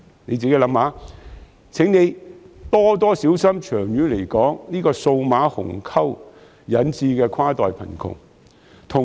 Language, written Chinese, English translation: Cantonese, 試想想，亦請他們多加留意，長遠來說，這個數碼鴻溝所引致的跨代貧窮。, They should think about and pay more attention to the inter - generational poverty caused by the digital divide in the long run